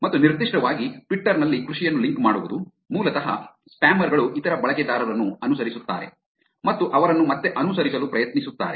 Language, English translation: Kannada, And particularly link farming in Twitter is basically, spammers follow other users and attempt to get them to follow back also